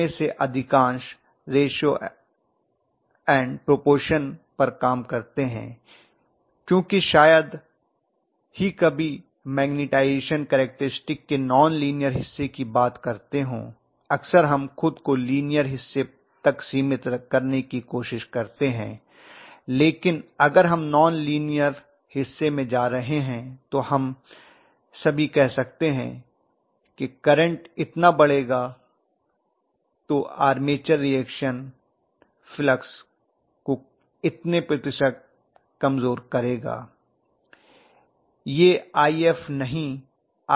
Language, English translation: Hindi, Most of them work on ratio and proportion because we hardly ever give the non linear portion of the magnetization characteristic very often we try to confine ourselves as much as possible to linear portion but if we are going in non linear portion we may say all though the increase in the current is by so much, armature reaction weakens the flux by so much percentage that is what we say, this is not IF this is IF2 dash, this is also IF 2 dash